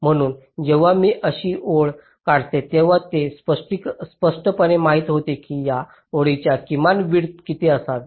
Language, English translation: Marathi, so when i draw a line like this, it is implicitly known that what should be the minimum width of this line